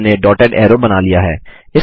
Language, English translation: Hindi, We have drawn a dotted arrow